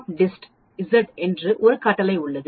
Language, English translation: Tamil, There is a command called NORMSDIST Z